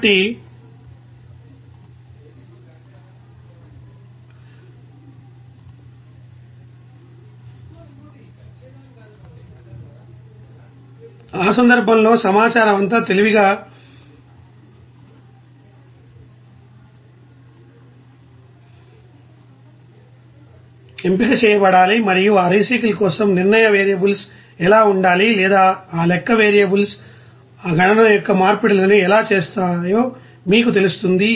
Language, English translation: Telugu, So, in that case all the informations to be you know wisely you know selected and also what should be the you know of decision variables for that recycle or you know you can say that how that you know decision variables will be you know making that conversions of that calculation there